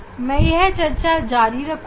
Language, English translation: Hindi, I will stop the discussion here